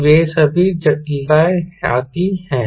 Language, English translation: Hindi, so all those complications come